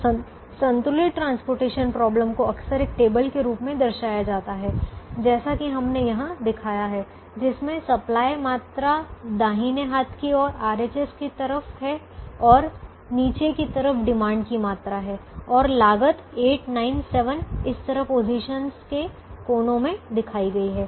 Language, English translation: Hindi, so a balanced transportation problem is often represented in the form of a table that we have shown here, with the supply quantity is coming on the right hand side, the demand quantity is coming on the bottom and the costs are shown in the corners of the corresponding positions: eight, nine, seven and so on